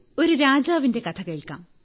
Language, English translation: Malayalam, "Come, let us hear the story of a king